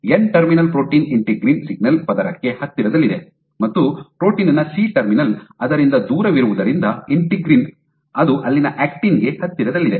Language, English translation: Kannada, With the N terminal protein closer to the integrin signal layer, and the C terminal of the protein being away from it , it is closer to the actin there